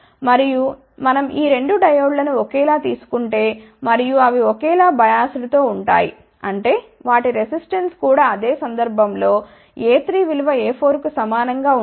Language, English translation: Telugu, And, if we take these 2 diodes identical and they are bias identically; that means, their resistance will be also same in that case a 3 will be equal to a 4